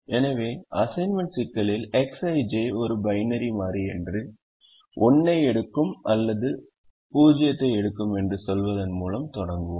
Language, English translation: Tamil, so assignment problem: we begin by saying that x i j is a binary variable that takes either one or it takes zero